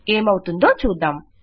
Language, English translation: Telugu, Lets see what we get